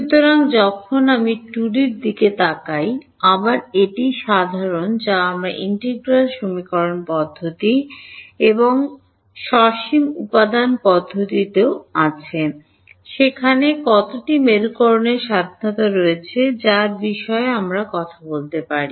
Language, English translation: Bengali, So, when we look at 2D, again this is common to what we did in the integral equation methods and finite element methods also, how many polarizations are there independent that we can talk about